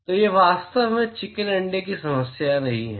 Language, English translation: Hindi, So, it is really not a chicken egg problem